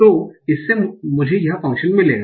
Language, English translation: Hindi, So this will give me this function